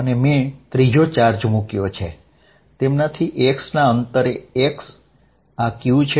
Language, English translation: Gujarati, And I put a third charge q at a distance x from them, this is q